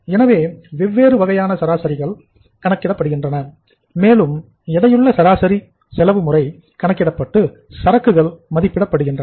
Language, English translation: Tamil, So different kind of averages are uh calculated and at that weighted say average cost method or by following the average cost method the inventories are valued